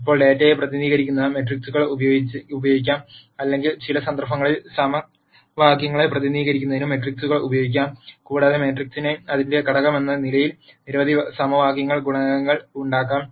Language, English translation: Malayalam, Now, matrices can be used to represent the data or in some cases matrices can also be used to represent equations and the matrix could have the coef cients in several equations as its component